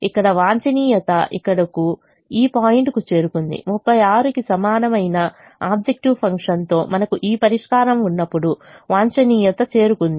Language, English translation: Telugu, at this point, when we have this solution with objective function equal to thirty six, the optimum has been reached